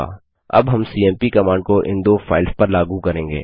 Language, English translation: Hindi, Now we would apply the cmp command on this two files